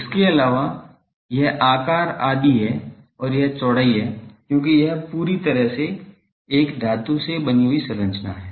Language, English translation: Hindi, , and it is width because this is fully a metallic structure